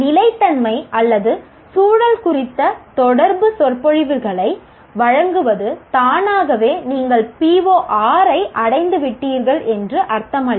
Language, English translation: Tamil, Merely giving a series of lectures on sustainability or environment do not automatically mean that you have attained PO6